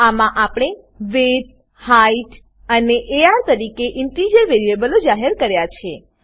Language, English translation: Gujarati, In this we have declared integer variables as width,height and ar